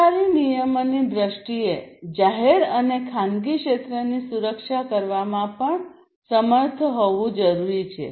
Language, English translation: Gujarati, In terms of government regulation, it is also required to be able to protect the public and the private sectors